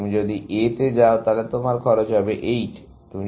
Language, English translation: Bengali, If you go to A, then you have a cost of 8